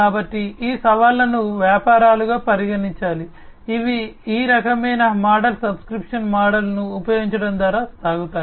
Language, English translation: Telugu, So, these challenges have to be considered by the businesses, which go by the use of this kind of model the subscription model